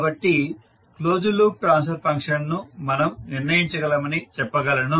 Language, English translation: Telugu, So we can say, we can determined the closed loop transfer function